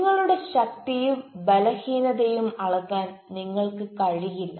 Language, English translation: Malayalam, you are unable to access your strength and weakness